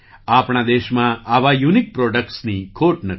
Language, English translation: Gujarati, There is no dearth of such unique products in our country